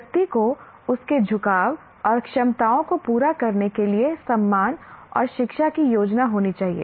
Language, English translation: Hindi, Individual must be respected and education plan to cater to her inclinations and capacities